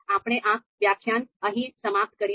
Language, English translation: Gujarati, So we will, we conclude this lecture here